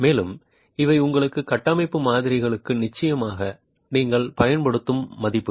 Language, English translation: Tamil, And these are values that definitely you will use for your structural models